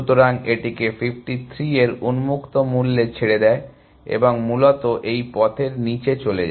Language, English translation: Bengali, So, it leaves it to the open value of 53 and goes down this path essentially